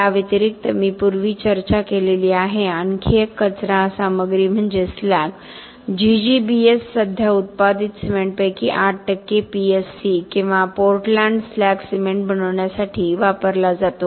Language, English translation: Marathi, In addition, another waste material that I discussed previously was slag, GGBS used to make PSC or Portland slag cement currently about 8 percent of the cement produced